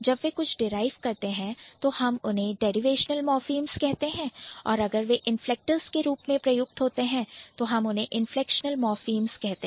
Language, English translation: Hindi, So, when they derive something, we call them derivational morphem and when they are just used as the inflectors we call them inflectional morphem